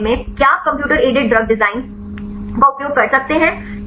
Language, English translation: Hindi, In this case can we you use the computer aided drag design right